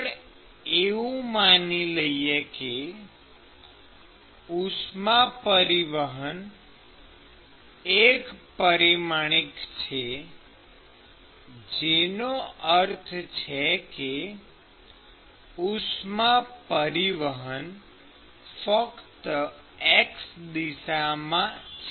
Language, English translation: Gujarati, And let us assume that the heat transfer is primarily one dimensional, which means that the heat transfer is only in the x direction